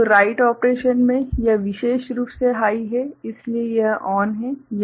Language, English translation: Hindi, So, in the write operation, so this particular one is high, so this is ON